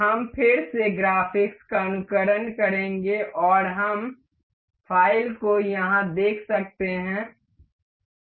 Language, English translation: Hindi, We will again simulate the graphics and we can see the file over here